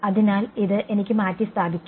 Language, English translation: Malayalam, So, this I can replace like this